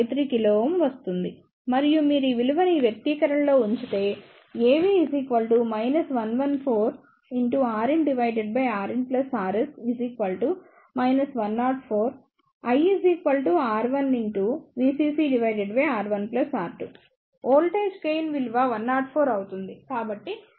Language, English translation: Telugu, 53 kilo ohm and if you put this value in this expression, the value of the voltage gain will be 104